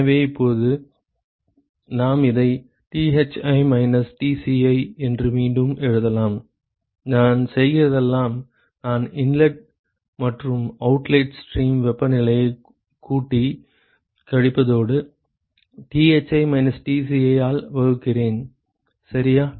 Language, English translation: Tamil, So, now, we can rewrite this as Tho minus Thi, all I am doing is I am adding and subtracting the inlet and the outlet stream temperatures plus Thi minus Tci divided by ok